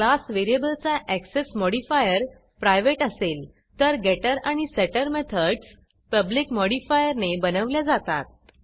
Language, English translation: Marathi, The modifier for the class variable is set to private whereas the getter and setter methods are generated with public modifier